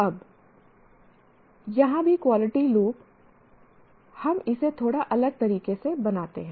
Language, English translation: Hindi, Now here also the quality loop we draw it slightly differently